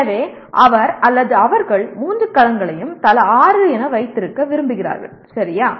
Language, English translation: Tamil, So he would like to have or they would like to have all the three domains as six each, okay